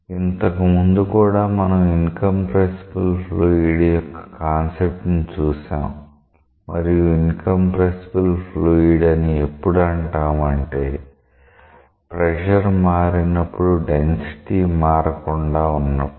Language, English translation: Telugu, So, earlier we also introduced the concept of incompressible fluid and we said that a fluid is incompressible, if its density does not significantly change with change in pressure